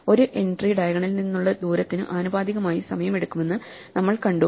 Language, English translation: Malayalam, We saw that an entry will take time proportional to it is distance from the diagonal